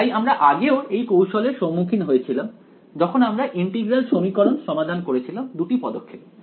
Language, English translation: Bengali, So, we have already come across this trick earlier integral equations always solved in 2 steps